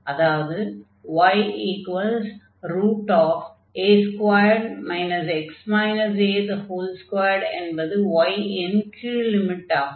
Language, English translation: Tamil, So, this is y is equal to a the upper point